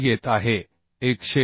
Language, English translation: Marathi, 68 this is coming 148